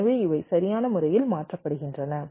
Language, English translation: Tamil, ok, so these are getting shifted right